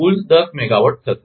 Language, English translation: Gujarati, Total will be ten